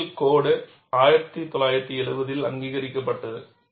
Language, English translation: Tamil, Originally the code was approved in 1970